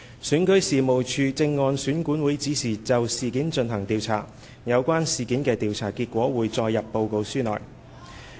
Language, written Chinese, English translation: Cantonese, 選舉事務處正按選管會指示就事件進行調查，有關事件的調查結果會載入報告書內。, REO is conducting an investigation into the incident as instructed by EAC . The findings of the investigation will be included in the election report